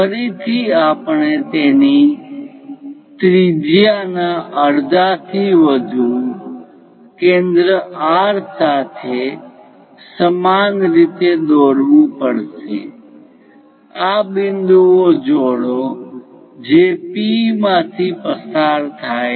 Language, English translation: Gujarati, Again, we have to construct similar way with radius more than half of it centre R with the same radius join these points which will pass through P